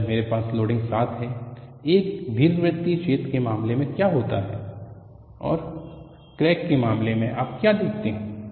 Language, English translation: Hindi, And when I have the loading is 7 for the case of an elliptical hole and what you see in the case of a crack